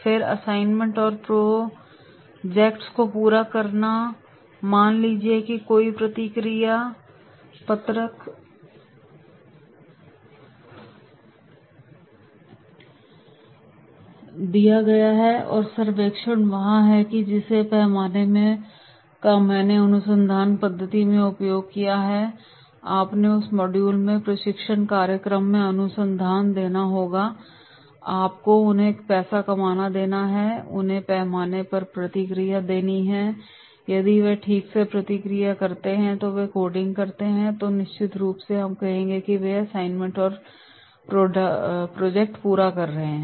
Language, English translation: Hindi, Then completing assignments and projects, suppose any response sheet is given, survey is there or the scale which I have used in research methodology, you must have seen research in the training program in that module that is how, you have to give them the scale, they have to response to the scale and if they response properly then do this coding then definitely we will say they are completing assignments and projects